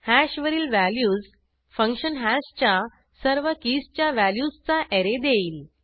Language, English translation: Marathi, values function on hash returns an array of values for all keys of hash